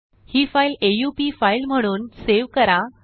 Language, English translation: Marathi, Save this file as an a u p file (i.e